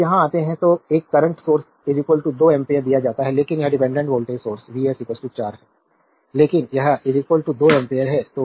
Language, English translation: Hindi, Now here if you come here a current source is given is equal to 2 ampere, but it dependent voltage source V s is equal to 4 is, but this is equal to 2 ampere